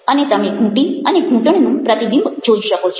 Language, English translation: Gujarati, you can see the ankle and the reflection of the ankle